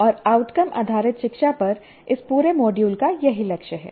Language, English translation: Hindi, And this is the goal of this entire module on outcome based education